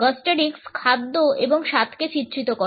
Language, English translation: Bengali, Gustorics represents studies of food and taste